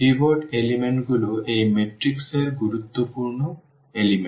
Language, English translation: Bengali, The pivot element are the important elements of this matrix